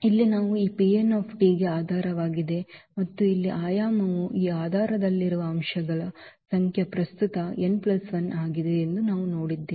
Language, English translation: Kannada, So, here we have seen that these are the basis for this P n t and the dimension here the number of elements in this basis which is n plus 1 at present